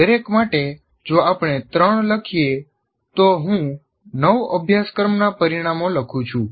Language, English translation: Gujarati, For each one if I write three, I end up writing nine course outcomes